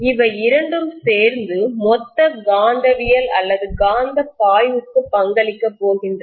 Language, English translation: Tamil, Both of them together are going to contribute to the total magnetism or magnetic flux